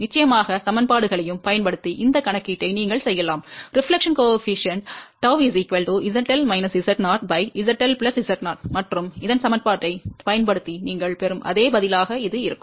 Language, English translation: Tamil, Of course, you can do this calculation using the equations also, reflection coefficient is Z L minus Z 0 divided by Z L plus Z 0 and this will be the same answer you will get by using that equation